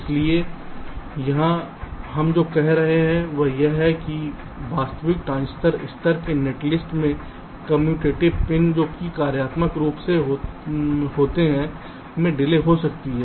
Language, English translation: Hindi, so, uh, here what we are saying is that in actual transistor level, netlist, the commutative pins which are so functionally can have different delays